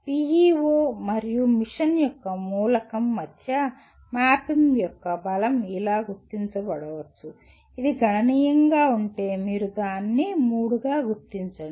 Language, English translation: Telugu, Strength of mapping between PEO and the element of mission may be marked as if it is substantial, you mark it as 3